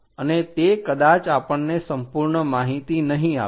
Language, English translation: Gujarati, And that may not give us complete information